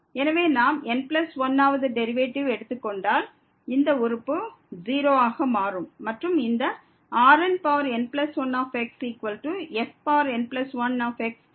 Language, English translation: Tamil, So, if we take the n plus 1th derivative this term will become 0 and we have these n plus 1 is equal to plus 1